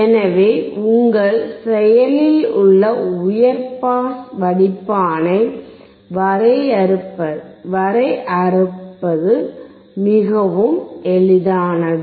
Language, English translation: Tamil, So, it is very easy to define your active high pass filter